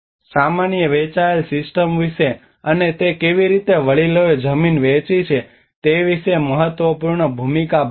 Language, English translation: Gujarati, Also talks about the common shared systems and how they shared land the elders plays an important role